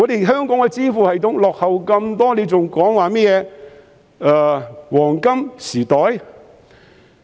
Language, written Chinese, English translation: Cantonese, 香港的支付系統落後於人，還說甚麼"黃金時代"？, When the payment system of Hong Kong is lagging so far behind are we not ashamed to mention any golden era?